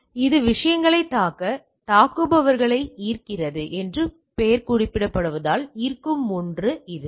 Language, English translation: Tamil, So, it is something which are which attracts as the name suggest attracts this attackers to attack on the things